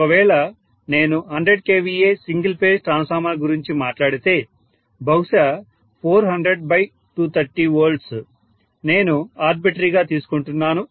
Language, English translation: Telugu, So if I talk about let us say a 100kva single phase transformer maybe 400 divided by 230 volts maybe just time arbitrarily taking